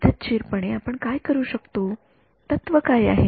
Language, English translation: Marathi, No, systematically what can we use, what is the principle